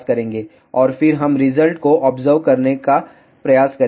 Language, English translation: Hindi, And then we will try to observe the result